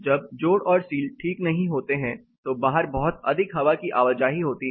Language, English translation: Hindi, When the joints and seals are not proper there is a lot of air movement seepage outside